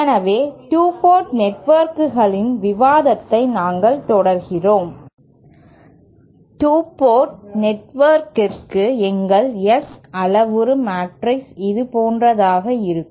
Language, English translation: Tamil, So let us continue the discussion for 2 port network soÉ For a 2 port network our S parameter matrix will be something like this